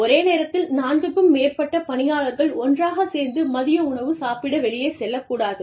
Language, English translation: Tamil, More than 4 employees, cannot go out, to have their lunch, at the same time